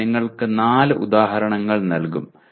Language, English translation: Malayalam, We will offer you four examples